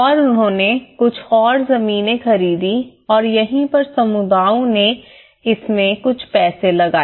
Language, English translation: Hindi, And they bought some more land and this is where communities have put some money in it